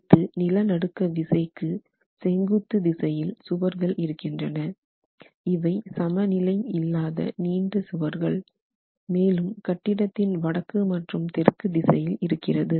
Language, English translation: Tamil, Now, we have the walls in the direction perpendicular to the seismic action which are the out of plain walls and these were the longer walls, the north the north wall and the south wall of the structure